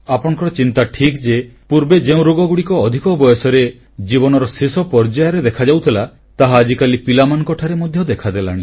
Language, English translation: Odia, Your concern is correct that the diseases which surfaced in old age, or emerged around the last lap of life have started to appear in children nowadays